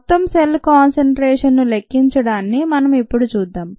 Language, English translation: Telugu, let us look at measuring the total cell concentration